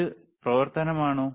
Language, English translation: Malayalam, Is it operation